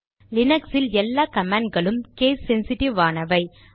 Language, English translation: Tamil, However note that linux commands are case sensitive